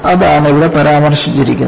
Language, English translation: Malayalam, That is what is mentioned here